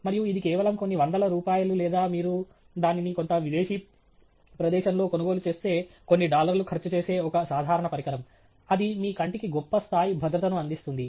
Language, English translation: Telugu, And this a simple device which just cost a few hundred rupees or may be just a few dollars, if you buy it in some foreign location, that provides your eye with great level of safety